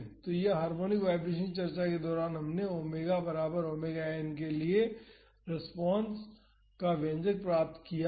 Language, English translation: Hindi, So, during harmonic vibration discussion we had derived the expression for the response for omega is equal to omega n